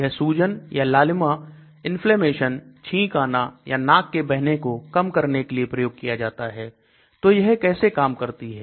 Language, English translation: Hindi, These are taken to overcome swelling or redness, inflammation, sneezing, runny nose, watery eyes, so how to they act